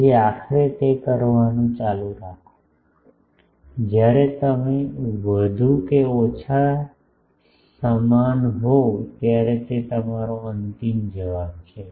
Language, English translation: Gujarati, So, go on doing that finally, when you are more or less equated this that is your final answer